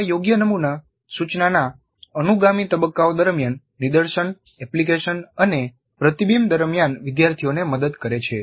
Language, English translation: Gujarati, Such an appropriate model helps the learners during the subsequent phases of the instruction that is during demonstration, application and reflection